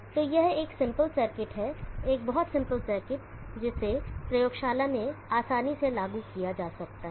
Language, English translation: Hindi, So this is a simple circuit, very simple circuit that can be easily implemented in the laboratory